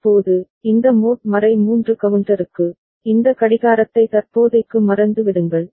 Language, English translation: Tamil, Now, for this mod 3 counter, forget about this clock for the time being